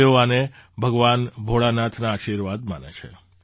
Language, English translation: Gujarati, They consider it as the blessings of Lord Bholenath